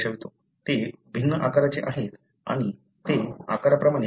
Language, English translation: Marathi, They are different sizes, therefore, they are size separated